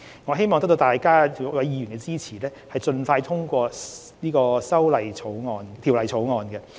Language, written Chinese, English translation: Cantonese, 我希望得到議員支持，盡快通過《條例草案》。, I hope Members will support the early passage of the Bill